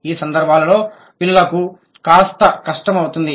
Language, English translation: Telugu, So, in these cases it becomes difficult for the child